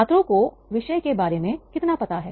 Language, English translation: Hindi, How much do students know about the subject